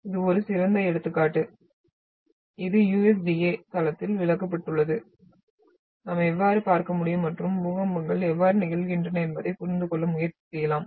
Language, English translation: Tamil, So this is an best example which has been explained in the USDA site that how we can look at and try to understand that how earthquakes occurs